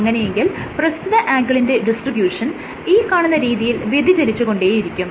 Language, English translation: Malayalam, So, what you will see is the angle distribution will keep on changing like